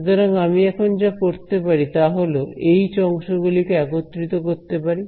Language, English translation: Bengali, And what I can do now is I can combine the H terms right